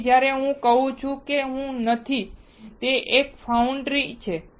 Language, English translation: Gujarati, So, when I say I that is not me, it is a foundry